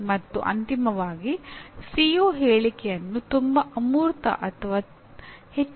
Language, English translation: Kannada, And finally do not make the CO statement either too abstract or too specific